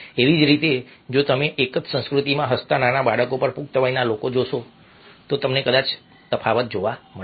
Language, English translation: Gujarati, if you look at young kids smiling and adult smiling in the same culture, probably you will find a difference in a same way